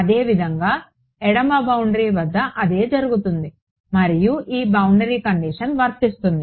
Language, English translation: Telugu, Similarly, at the left boundary same thing is happening and imposing this is boundary condition